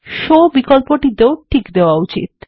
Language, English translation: Bengali, The SHOW option should also be checked